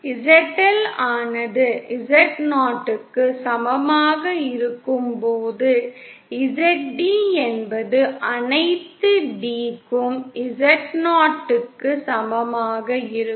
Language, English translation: Tamil, And for the case when ZL is equal to Zo, Zd will be simply equal to Zo for all d